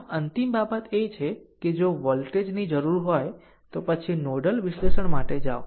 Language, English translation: Gujarati, So, ultimate thing is, if voltage are required, then you go for nodal analysis